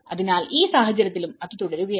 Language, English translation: Malayalam, So, in this case, it was continuing